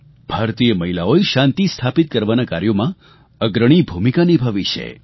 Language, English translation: Gujarati, Indian women have played a leading role in peace keeping efforts